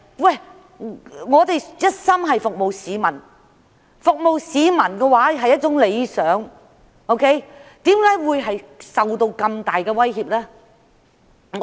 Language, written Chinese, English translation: Cantonese, 我們一心想服務市民，這是一個崇高的理想，但為何要受到那麼大的威脅？, We put our hearts into serving the people which is a noble aspiration but why are we under such serious threats?